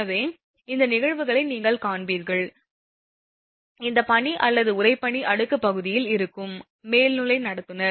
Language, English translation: Tamil, So, this phenomena you will see that, that snow or your frost layer will be there on the conductor; overhead conductor